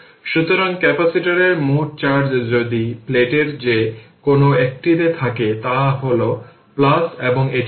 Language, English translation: Bengali, So, when you says to capacitors total charge if the either of the plate, it is plus and this is minus